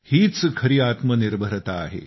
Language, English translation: Marathi, This is the basis of selfreliance